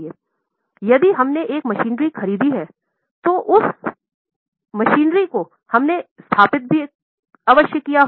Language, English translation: Hindi, So, if you have purchased machinery, it will need some installation